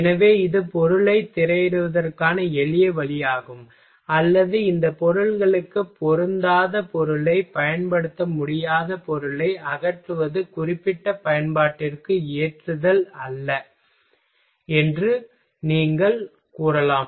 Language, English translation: Tamil, So, this is the simplest way to screening the material and or you can we can say that eliminating the non usable material that should that that is not suitable for these materials are not suitable for particular application ok